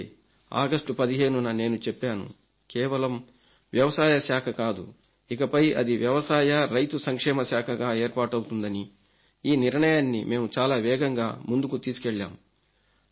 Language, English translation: Telugu, That is why I declared on 15th August that it is not just an agricultural department but an agricultural and farmer welfare department will be created